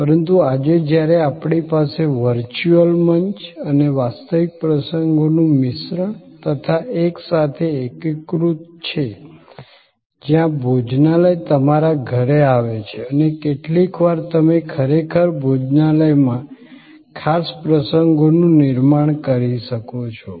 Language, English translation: Gujarati, But, today when we have this mix of virtual platform and real occasions, sort of integrated together, where the restaurant comes to your house and sometimes, you may actually create a special occasions in the restaurant